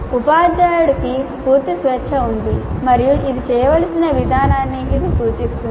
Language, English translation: Telugu, Teacher has a complete freedom and this is only an indicative of the way it needs to be done